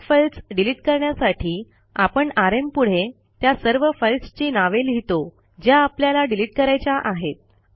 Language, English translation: Marathi, To delete multiple files we write rm and the name of the multiple files that we want to delete